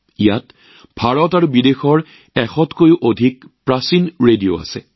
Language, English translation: Assamese, More than a 100 antique radios from India and abroad are displayed here